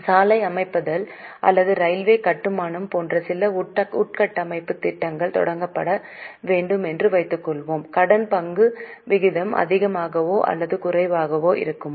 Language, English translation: Tamil, Suppose some infrastructure project to be started, like construction of road or construction of railways, will the debt equity ratio be higher or lower